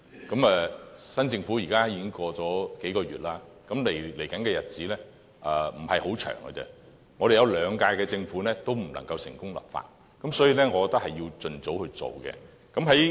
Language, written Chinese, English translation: Cantonese, 現時新政府上任已過了數個月，未來的日子不是很長的，過去的兩屆政府也不能成功立法，所以我認為是要盡早進行的。, Several months have already passed since the new Government took office and there is really not much time left . Since the previous two Governments both did not succeed in their legislative attempts I think the present Government must proceed as soon as possible